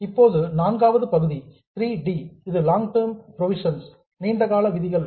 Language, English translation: Tamil, Then the fourth item, 3D, that is long term provisions